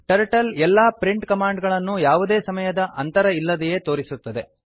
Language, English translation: Kannada, Turtle displays all print commands without any time gap